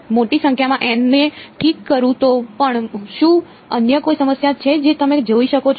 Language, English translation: Gujarati, Even if I fix a large number of N, is there any other problem conceptually that you can see